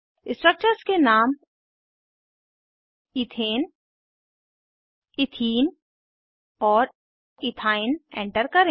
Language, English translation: Hindi, Enter the names of the structures as Ethane, Ethene and Ethyne